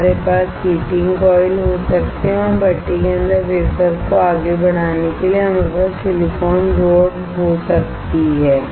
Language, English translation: Hindi, We can have heating coils and we can have the silicon rod to push the wafer further inside the furnace